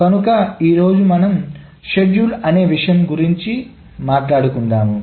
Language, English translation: Telugu, So today we will start on something which is called schedules